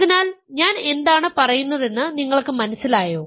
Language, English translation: Malayalam, So, you understand what I am saying